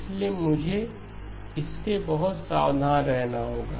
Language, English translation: Hindi, So I have to be very careful with this